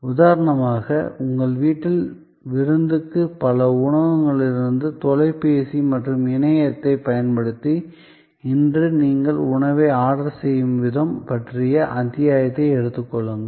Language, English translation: Tamil, Take for example, the episode about the way you order food today using phone and internet from multiple restaurants for a party at your home